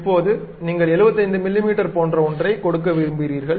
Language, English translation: Tamil, Now, you would like to have give something like 75 millimeters